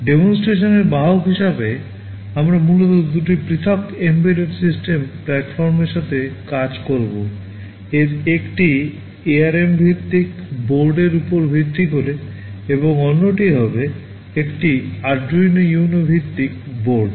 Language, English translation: Bengali, As the vehicle of demonstration we shall be primarily working with two different embedded system platforms; one is based on an ARM based board and the other one will be a standard Arduino Uno based board